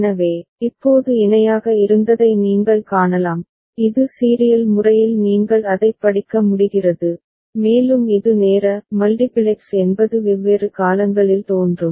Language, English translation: Tamil, So, what was parallel now you can see, it is in serial manner you are able to read it and it is time multiplexed means it is appearing in different point of time